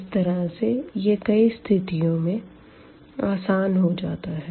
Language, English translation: Hindi, So, this also simplifies in several cases